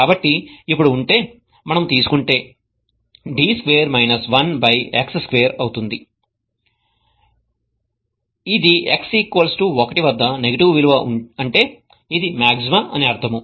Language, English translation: Telugu, So, if now if we take d square we are going to get minus 1 by x square which is a negative value at x equal to 1 which means that it is a maxima